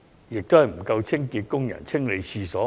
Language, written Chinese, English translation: Cantonese, 最終是沒有足夠的清潔工人清理廁所。, Eventually there is a lack of toilet cleaners